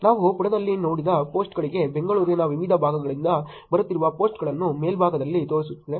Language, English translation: Kannada, The one on the top is showing you the posts that are coming from the different parts of Bangalore for the posts that we saw in the page